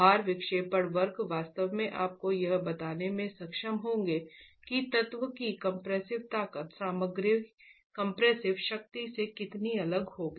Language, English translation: Hindi, These load deflection curves will actually be able to tell you how much the strength in compression of the element is going to be different from the compressive strength of the material itself